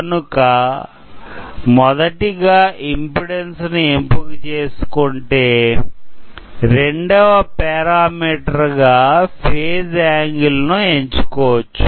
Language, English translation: Telugu, So, when we select the impedance as one of the parameter, then the other parameter we have is the phase angle